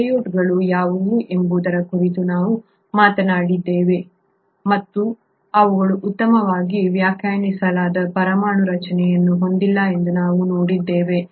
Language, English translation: Kannada, We have talked about what is, what are prokaryotes, and we have seen that they do not have a well defined nuclear structure